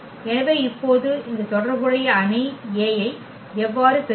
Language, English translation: Tamil, So, now, how to get this corresponding matrix A